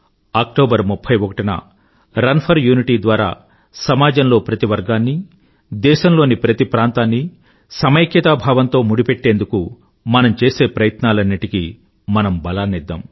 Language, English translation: Telugu, I urge you all that on October 31, through 'Run for Unity', to strengthen our efforts and bind every section of the society as a unified unit